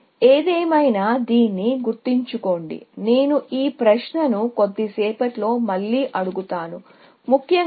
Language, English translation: Telugu, Anyway, just keep this in mind, I will ask this question in a little while again, essentially